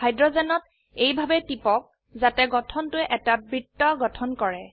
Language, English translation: Assamese, Click on the hydrogens in such a way that the structure forms a circle